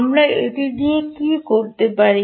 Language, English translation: Bengali, what can we do with that